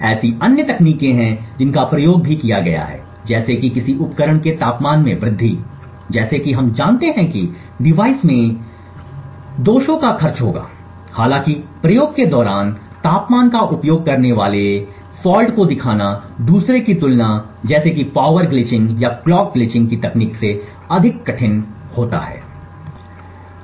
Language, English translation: Hindi, There are other techniques which also have been experimented with such as the use of temperature increasing the temperature of a device as we know would cost induce faults in the device however as the experiment show injecting faults using temperature is more difficult to achieve compare to the other techniques of power glitching or clock glitching